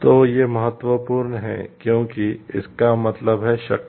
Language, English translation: Hindi, So, these are important because, it means power